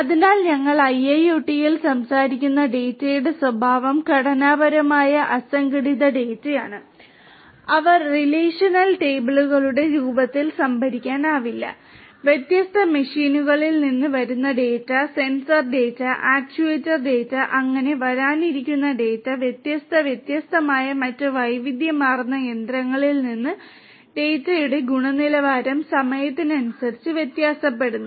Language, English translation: Malayalam, So, the nature of data that we are talking about in IIoT are unstructured unorganized data which cannot be stored in the form of relational tables, data which are coming from different machines, sensor data, actuator data and so, on, data which are coming from different; different other heterogeneous machines, data where the quality of the data varies with time